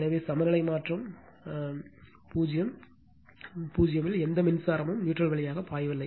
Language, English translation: Tamil, So, therefore, balance shift in is equal to 0, no current is flowing through the neutral right